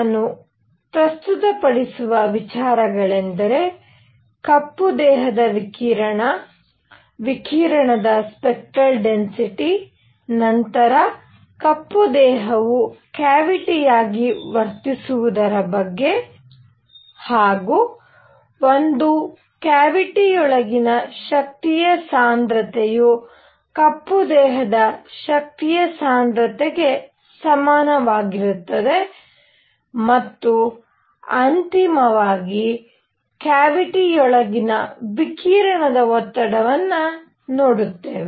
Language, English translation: Kannada, So, what the ideas that I am going to talk about is black body radiation, spectral density for radiation, then black body as a cavity, then energy density inside a cavity which would be equivalent to energy density for a black body, and finally radiation pressure inside a cavity